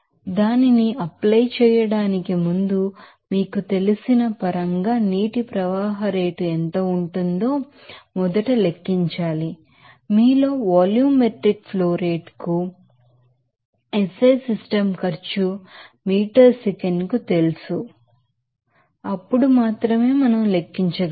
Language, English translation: Telugu, So, before applying that, you have to first calculate what would be the water flow rate in terms of you know, volumetric flow rate in you know SI system cost meter per second then only we can calculate